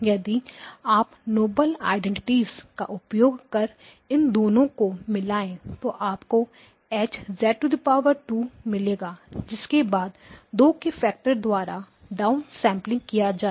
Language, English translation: Hindi, If you combine these two using the noble identities you will get H2 of z squared followed by down sampling by a factor of 2